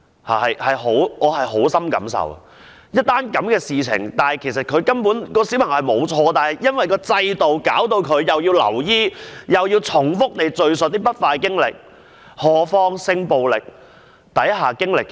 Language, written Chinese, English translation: Cantonese, 我對此有很深感受，在這件事情上，小朋友根本沒有錯，但制度令致他要留醫及重複敘述不快經歷，更何況是性暴力之下的一些經歷。, I am deeply impressed by this case because the child has done nothing wrong at all . The institutional flaw has forced him to be admitted to hospital and to give an account of the incident repeatedly . And what about sexual violence victims?